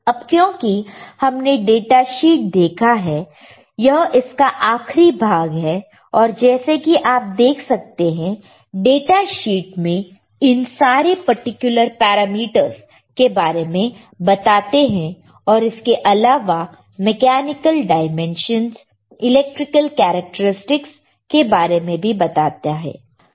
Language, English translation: Hindi, Now since we have seen what the data sheet generally gives us right this is the end of the data sheet as you can see here what data sheet gives us is this particular parameters right including the mechanical comp mechanical dimensions, including the electrical characteristics right